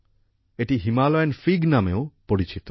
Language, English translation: Bengali, It is also known as Himalayan Fig